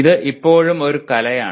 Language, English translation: Malayalam, This is still an art